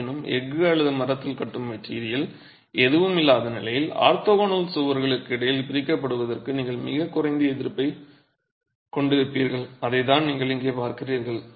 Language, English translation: Tamil, However, in the absence of any such tying material in steel or in timber, you would have a very low resistance to separation between orthogonal walls and that is exactly what you see here